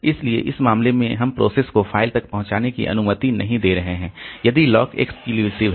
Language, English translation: Hindi, So, in one case we are we are not allowing the processes to access the file if the lock is set exclusive